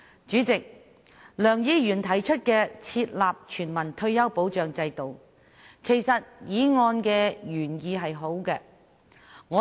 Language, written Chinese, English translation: Cantonese, 主席，梁議員提出"設立全民退休保障制度"議案的原意其實是好的。, President the original intent of Mr LEUNG in proposing this motion on Establishing a universal retirement protection system is actually good